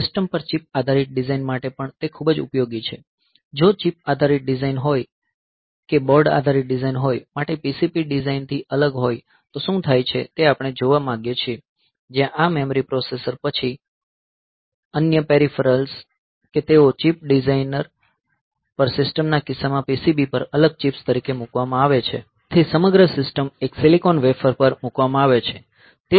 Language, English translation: Gujarati, So, for system on chip type of design also, that it is very much useful; like in system on chip, what happens is that, unlike a board based design or PCB based design, where this memory, processor then other peripherals, that they are put as separate chips on the PCB in case of system on chip design, so entire system is put onto a single silicon wafer